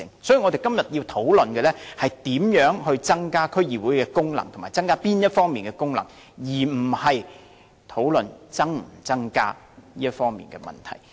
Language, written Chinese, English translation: Cantonese, 所以，我們今天要討論的是如何增加區議會的功能，以及增加哪方面的功能，而不是討論應否增加這些功能。, Hence today we should discuss how best to enhance the functions of DCs and which functions to enhance rather than whether these functions should be enhanced